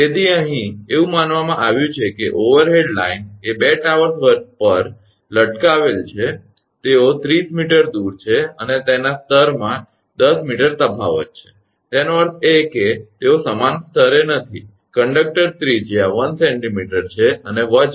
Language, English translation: Gujarati, So, here it is said that an overhead line is supported on 2 towers, they are 30 meter apart right having a difference in level of 10 meter; that means, they are not at the same level, the conductor radius is 1 centimeter and weights is 2